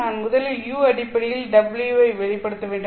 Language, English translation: Tamil, I have to first express W in terms of U, find out what is U